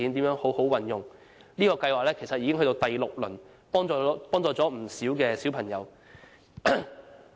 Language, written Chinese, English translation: Cantonese, 這個計劃已屆第六輪，幫助了不少小朋友。, This programme which is now in the sixth round has helped a lot of children